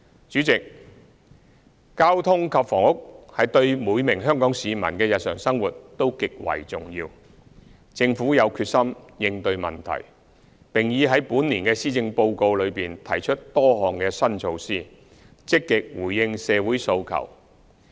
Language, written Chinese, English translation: Cantonese, 主席，交通及房屋對每名香港市民的日常生活都極為重要，政府有決心應對問題，並已在本年的施政報告中提出多項新措施，積極回應社會訴求。, President transport and housing are extremely important to the daily life of every Hong Kong citizen . The Government is determined to address the issue and has proposed various new initiatives in the Policy Address this year to actively respond to social aspirations